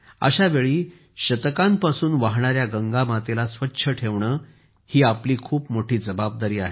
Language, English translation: Marathi, Amid that, it is a big responsibility of all of us to keep clean Mother Ganges that has been flowing for centuries